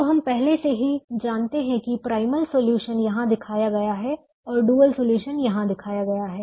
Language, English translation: Hindi, now we can also we have we have already know that the primal solution is shown here, the primal solution is shown here and the dual solution is shown here